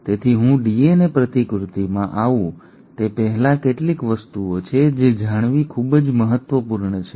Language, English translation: Gujarati, So before I get into DNA replication, there are few things which is very important to know